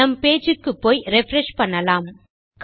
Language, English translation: Tamil, So, lets go back to our page and we will refresh